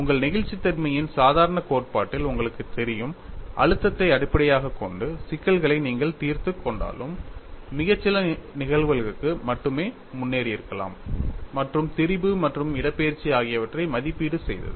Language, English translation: Tamil, You know in your normal theory of elasticity, though you have solved the problems based on stress formulation, only for a very few cases probably you would have gone ahead and evaluated the strain as well as the displacement